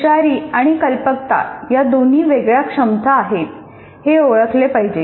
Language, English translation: Marathi, And intelligence and creativity are two separate abilities